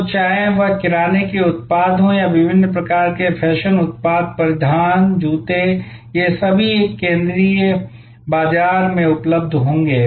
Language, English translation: Hindi, So, whether it are grocery products or various kinds of fashion products, apparels, shoes all these will be available in a central market place